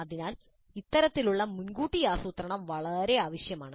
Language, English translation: Malayalam, So this kind of upfront planning is very essential